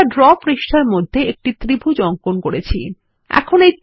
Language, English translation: Bengali, We shall insert a triangle in the Draw page, as we did before